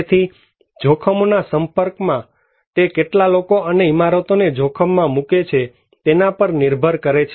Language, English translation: Gujarati, So, exposed to hazards; it depends on how many people and the buildings are exposed to a hazard